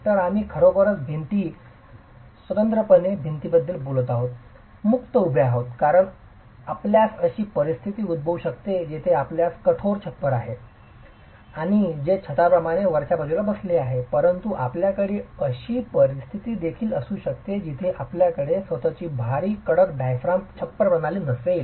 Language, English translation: Marathi, So, we are really talking of walls which are freestanding walls, okay, freestanding simply because you could have a situation where you have a rigid diaphragm which is sitting on the top as the roof, but you could also have a situation where you don't have a heavy rigid diaphragm that is the roof system itself